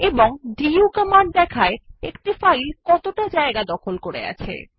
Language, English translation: Bengali, And the du command gives a report on how much space a file has occupied